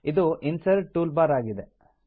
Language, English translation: Kannada, This is the Insert toolbar